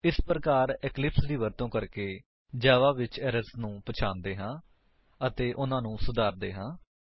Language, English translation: Punjabi, Here is how you identify errors in Java, using eclipse, and rectify them